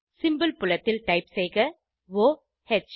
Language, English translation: Tamil, In the Symbol field type O H